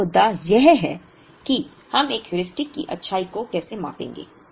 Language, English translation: Hindi, The first issue is, how do we measure the goodness of a Heuristic